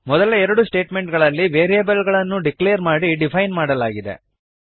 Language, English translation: Kannada, the first two statements the variables are declared and defined